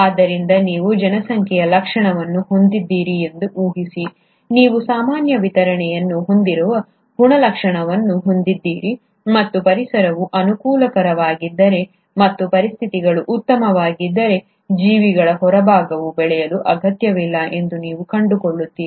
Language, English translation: Kannada, So, assume that you do have a population trait, you have a trait for which there is a normal distribution and you find that if the environment is conducive and the conditions are fine, there’s no need for the outer extreme of the organisms to grow